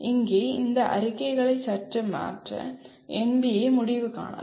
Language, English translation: Tamil, NBA may decide to slightly modify the statements here